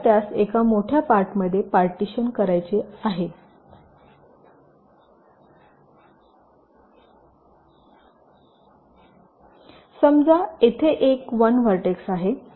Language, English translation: Marathi, so it is something like this: i want to divide it into one part which is bigger, lets say there are n one vertices here